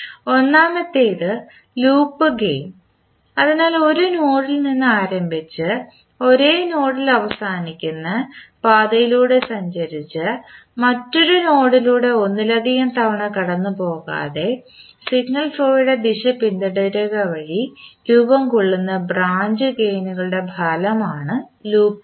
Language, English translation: Malayalam, First is Loop gain, so loop gain is the product of branch gains formed by traversing the path that starts at a node and ends at the same node without passing through any other node more than once and following the direction of the signal flow